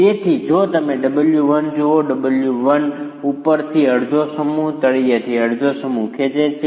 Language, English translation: Gujarati, So, if you look at W1, W1 is lumping half the mass from the top and half the mass from the bottom